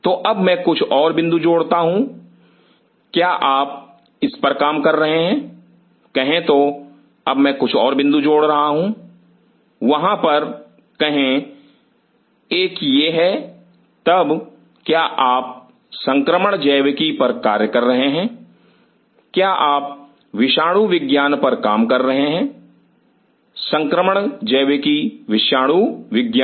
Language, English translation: Hindi, So, now, I add a few more points are you working on say, now I am adding few other points out here say one a is this then, are you working on infectious biology, are you working on virology, infectious biology virology